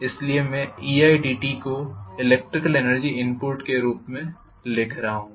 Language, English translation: Hindi, So I am writing e i dt as the electrical energy input